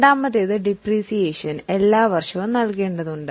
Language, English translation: Malayalam, The second one was depreciation is required to be provided every year